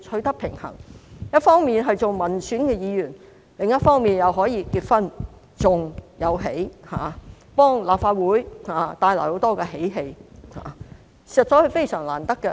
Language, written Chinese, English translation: Cantonese, 她一方面擔任民選議員，另一方面又可以結婚及生兒育女，為立法會帶來很多喜氣，實在非常難得。, She serves as an elected Member on the one hand and gets married and gives birth on the other hand so she brings a lot of joy to the Legislative Council which is hard to come by